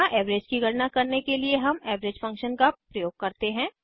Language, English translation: Hindi, Here we use the average function to calculate the average